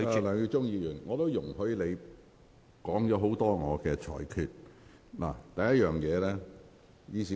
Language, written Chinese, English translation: Cantonese, 梁耀忠議員，我已容許你就我的裁決發言一段時間。, Mr LEUNG Yiu - chung I have allowed you to speak on my decision for some time